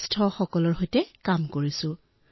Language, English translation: Assamese, I work with senior citizens